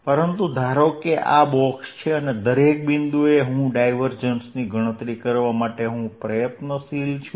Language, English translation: Gujarati, But, assume these are boxes and at each point I apply to calculate the divergence